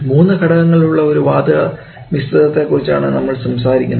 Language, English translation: Malayalam, We are talking about a gas mixture which comprises of three components so we have oxygen